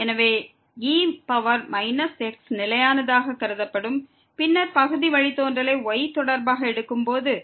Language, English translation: Tamil, So, power minus will be treated as constant and then, when we take the partial derivative with respect to